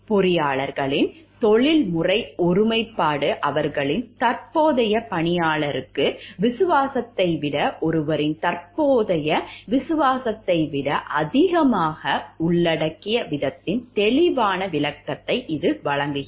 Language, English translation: Tamil, These provides a clear illustration of the way in which the professional integrity of engineers involves much more than their present loyalty to one’s own more than loyalty to their own present employer